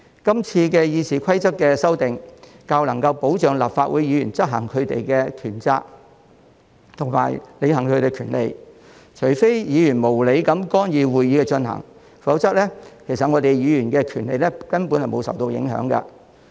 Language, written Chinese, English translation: Cantonese, 今次《議事規則》的修訂較能保障立法會議員執行權責及履行權利，除非議員無理地干預會議進行，否則，議員的權利根本沒有受影響。, The amendments to the Rules of Procedure this time around can offer greater protection to Members of the Legislative Council when they carry out their duties and fulfil their rights . Unless Members are interfering with the proceeding of a meeting without any good reason otherwise their rights will not be affected